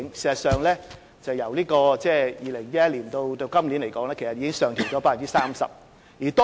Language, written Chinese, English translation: Cantonese, 事實上，由2011年至今年，數字已上調 30%。, In fact from 2011 until this year the figure has increased by 30 %